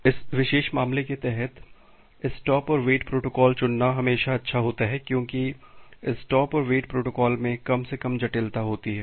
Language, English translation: Hindi, So, under this particular case it is always good to choose a stop and wait protocol because stop and wait protocol has the least complexity